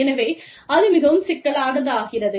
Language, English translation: Tamil, So, that becomes very complex